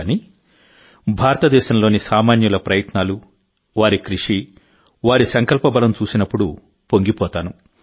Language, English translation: Telugu, But when I see the efforts of the common man of India, the sheer hard work, the will power, I myself am moved